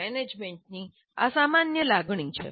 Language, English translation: Gujarati, This is the general feeling of the management